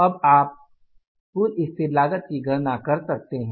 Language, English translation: Hindi, Now you calculate the total fixed cost